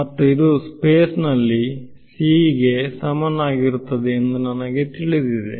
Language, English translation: Kannada, And I know that this is going to be equal to c in vacuum we know this already